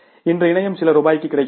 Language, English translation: Tamil, Today internet is available at for a few rupees